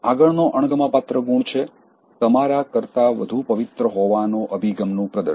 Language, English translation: Gujarati, The next dislikable trait is, Exhibiting Holier Than Thou Attitude